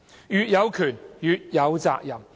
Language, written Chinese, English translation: Cantonese, 越有權，越有責任。, With greater power comes greater responsibility